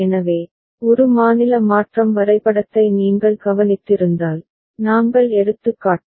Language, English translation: Tamil, So, if you have noticed a state transition diagram, the one that we have taken as example